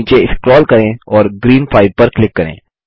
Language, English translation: Hindi, Scroll down and click on Green 5